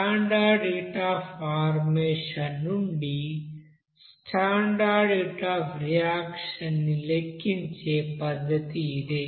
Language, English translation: Telugu, So simple way to calculate that standard heat of reaction from the standard heat of combustion